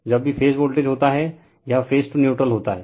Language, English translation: Hindi, Whenever we say phase voltage, it is phase to neutral right